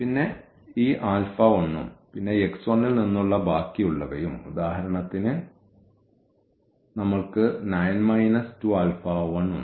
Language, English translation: Malayalam, And, then this alpha 1 and then the rest from x 1, for example, we have 9 minus 2